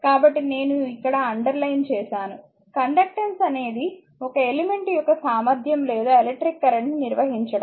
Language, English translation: Telugu, So, thus conductance is the ability of an element to conduct electric current